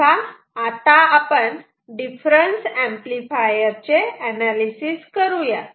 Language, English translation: Marathi, So, now we are going to analyze of difference amplifier